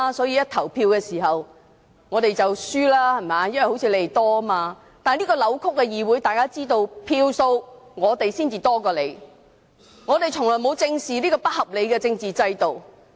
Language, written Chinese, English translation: Cantonese, 然而，在這個扭曲的議會裏，大家雖然知道我們在選舉所得票數比他們多，但我們從來沒有正視這個不合理的政治制度。, Nevertheless in this distorted legislature although everyone knows that the democrats obtained more votes in election than pro - establishment Members we have not seriously addressed this unreasonable political system